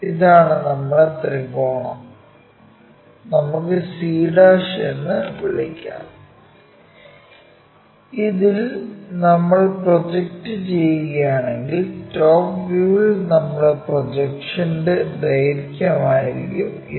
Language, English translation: Malayalam, So, our triangle now let us call c', if we are projecting all the way up in the this will be the length of our projection in the top view